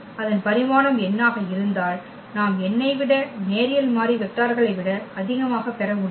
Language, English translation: Tamil, So, for a vector space whose dimension is n we cannot get more than n linearly independent vectors